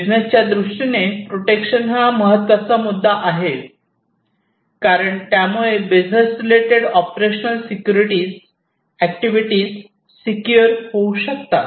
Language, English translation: Marathi, So, protection is an important factor in business perspective, because of the operational security operations the business actions are going to be protected